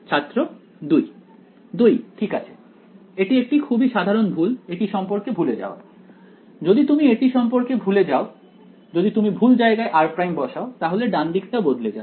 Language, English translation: Bengali, 2 ok, it is very its a very common mistake is to forget about this thing, if you forget about this if we put r prime in the wrong place then the right hand side will change right